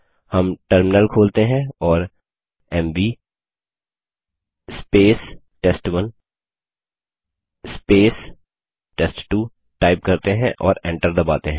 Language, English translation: Hindi, We open the terminal and type $ mv test1 test2 and press enter